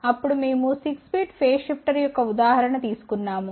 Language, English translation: Telugu, Then we took an example of 6 bit phase shifter